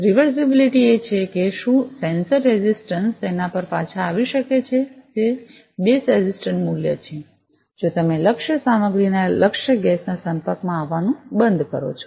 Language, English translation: Gujarati, Reversibility is whether the sensor resistance can return back to it is base resistance value; if you stop the exposure of the target material to the target gas